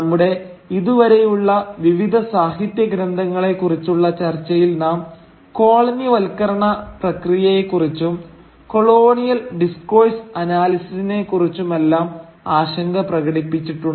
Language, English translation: Malayalam, So far in our discussion of the various literary texts we have concerned ourselves with the process of colonialism and with colonial discourse analysis